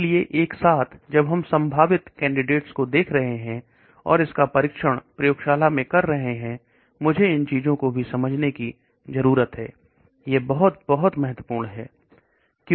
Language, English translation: Hindi, So simultaneously, when we are looking at possible candidates and testing it out in the wet lab biological assays I need to understand these things also, this is very, very important